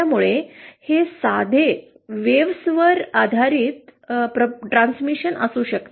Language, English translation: Marathi, So it can be a simple wave based transmission